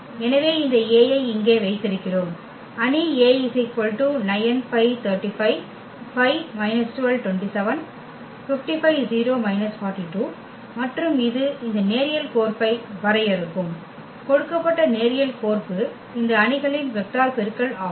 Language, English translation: Tamil, So, we have this A here, the matrix A and that will define this linear map the given linear map as this matrix vector product